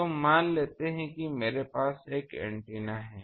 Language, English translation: Hindi, So let me take that I have an antenna